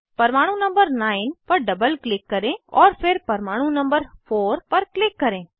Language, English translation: Hindi, Double click on atom number 9, and then click on atom 4